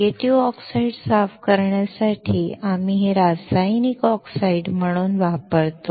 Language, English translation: Marathi, We use this as a chemical oxides from cleaning native oxide